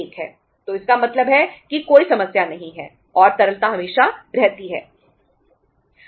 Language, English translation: Hindi, So it means there is no problem and liquidity is always there